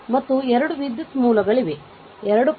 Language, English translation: Kannada, And 2 current sources are there 2